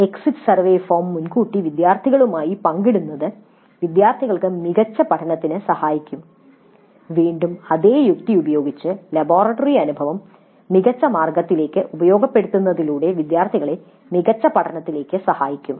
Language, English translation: Malayalam, Sharing the exit survey form upfront with students also may help in better learning by the students again by the same logic by exposing the students to better way of utilizing the laboratory experience